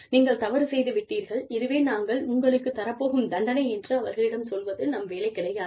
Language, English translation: Tamil, It is not to tell them, you are wrong, this is the punishment, we will give you